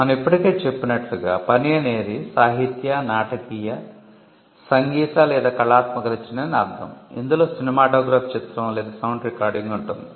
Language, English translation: Telugu, Work as we already mentioned is defined to mean a literary, dramatic, musical or artistic work it includes a cinematograph film or a sound recording